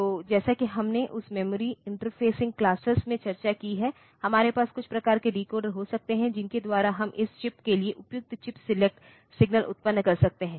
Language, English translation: Hindi, So, as we have discussed in that memory interfacing classes, there we can have some sort of decoder by which we can generate appropriate chip select signal for this chip